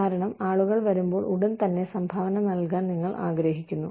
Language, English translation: Malayalam, Because, you want people to immediately start contributing, when they come in